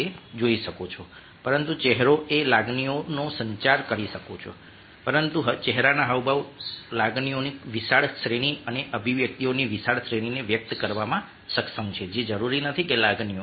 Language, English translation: Gujarati, all though, through just gestures you can communicating emotions, but facial expressions are capable of expressing a wide range of emotions and wide range of mosr expressions which are not necessarily emotions